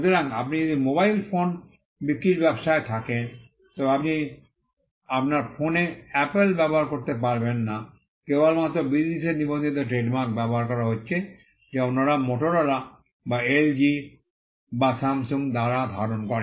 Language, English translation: Bengali, So, if you are in the business of selling mobile phones, you cannot use Apple on your phone that is it; the only restriction is using registered trademarks, which are held by others say Motorola or LG or Samsung